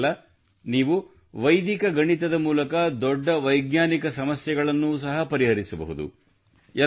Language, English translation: Kannada, Not only this, you can also solve big scientific problems with Vedic mathematics